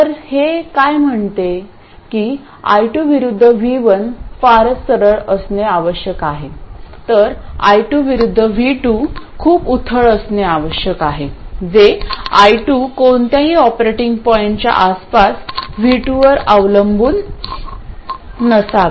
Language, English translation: Marathi, So, what it says is that I2 versus V1 has to be very steep, whereas I2 versus V2 has to be very shallow, that is I2 should not depend on V2 at all around some operating point